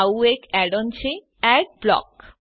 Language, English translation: Gujarati, One such add on is Adblock